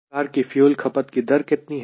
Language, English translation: Hindi, so how much fuel will be consumed